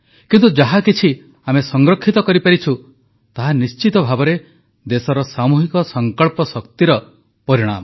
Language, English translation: Odia, But whatever we have been able to save is a result of the collective resolve of the country